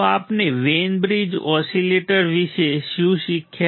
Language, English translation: Gujarati, So, what will learnt about the Wein bridge oscillator